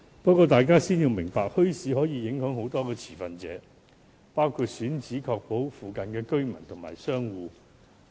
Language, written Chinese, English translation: Cantonese, 不過，大家先要明白，墟市政策影響很多持份者，包括墟市選址附近的居民及商戶。, Nevertheless Members have to first understand that a policy on bazaars will affect many stakeholders including residents and business operators near the chosen sites of bazaars